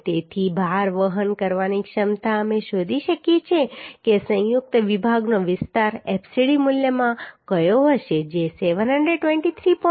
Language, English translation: Gujarati, 61 Therefore the load carrying capacity we can find out which will be the area of the combined section into fcd value which is coming 723